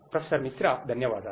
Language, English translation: Telugu, Thank you Professor Misra